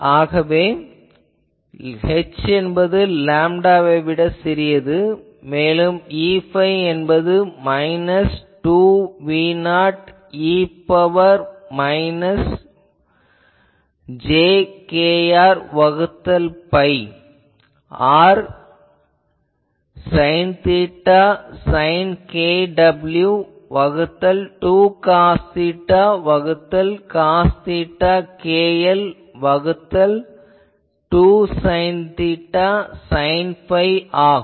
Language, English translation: Tamil, So, if we have that that means for h much larger smaller than lambda, we have E phi becomes minus j 2 V 0 e to the power minus j k r by pi r sin theta sin k w by 2 cos theta by cos theta cos of k l by 2 sin theta sin phi